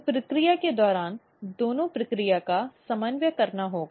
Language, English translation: Hindi, So, during the process; both the process has to be coordinating